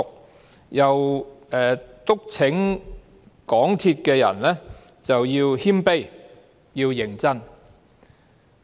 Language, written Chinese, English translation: Cantonese, 他又促請香港鐵路有限公司的人員要謙卑和認真。, He also urged the personnel of the MTR Corporation Limited MTRCL to adopt a humble and serious attitude